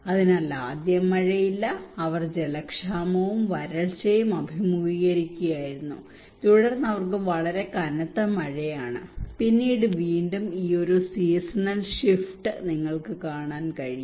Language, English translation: Malayalam, So first there is no rain and they were facing water scarcity and drought, and then they have very heavy rain or flat and then again this seasonal shift you can see